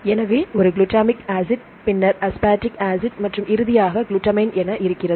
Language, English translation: Tamil, So, a glutamic acid, then aspartic acid and finally, the glutamine